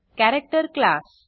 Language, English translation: Marathi, The character class